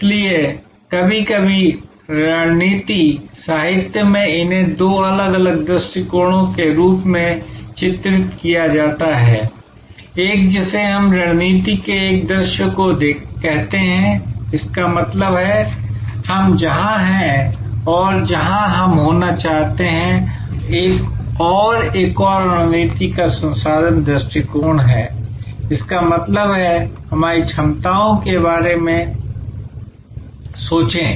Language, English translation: Hindi, So, sometimes in strategy literature these are portrayed as two different approaches, one which we call a position view of strategy; that means, where we are and where we want to be and another is resource view of strategy; that means, think in terms of what our capabilities are